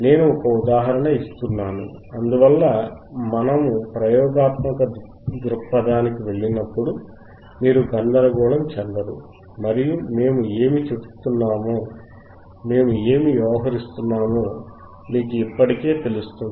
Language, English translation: Telugu, So so, that when we go to the experimental point of view, you will not get confused and you will already know that what we are working on